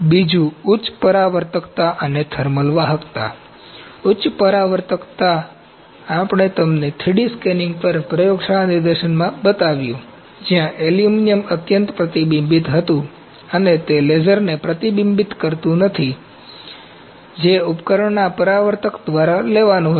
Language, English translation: Gujarati, Second is, high reflectivity and thermal conductivity high reflectivity we showed you in the laboratory demonstration on 3D scanning where aluminuim was highly reflective and it did not reflect back the laser that was to be taken by the reflector of the equipment